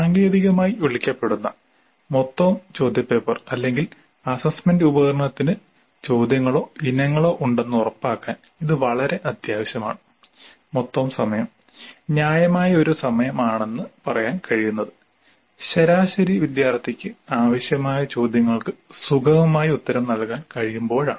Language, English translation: Malayalam, This is very essential to ensure that the total question paper or assessment instrument as technical it is called has the questions or items whose total time is reasonable in the sense that the average student should be able to answer the required number of questions comfortably